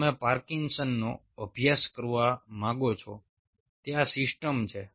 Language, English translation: Gujarati, you want to study parkinson and you want to have three layers